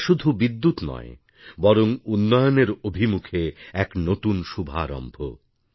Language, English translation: Bengali, This is not just electricity, but a new beginning of a period of development